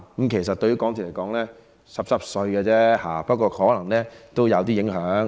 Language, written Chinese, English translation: Cantonese, 這其實對港鐵來說只是小意思而已，不過可能也會有一點影響。, In fact it does not mean much to MTRCL but there may still be some impact